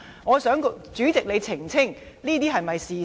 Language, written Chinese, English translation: Cantonese, 我想主席澄清，這是否事實？, May I ask the President to clarify if this is the case?